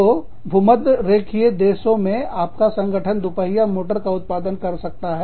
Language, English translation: Hindi, So, in the equatorial countries, your organization could be manufacturing, motorized two wheelers